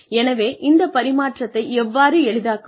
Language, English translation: Tamil, So, how do you make this transfer easy